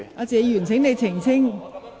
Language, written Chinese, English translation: Cantonese, 謝議員，請你澄清。, Mr TSE please clarify it